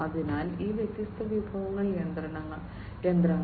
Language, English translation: Malayalam, So, all these different resources, the machinery, etc